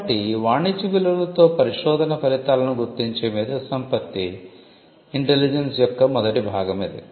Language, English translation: Telugu, So, that is the first part of IP intelligence identifying research results with commercial value